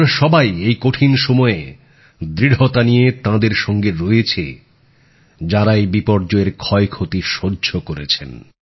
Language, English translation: Bengali, Let us all firmly stand by those who have borne the brunt of this disaster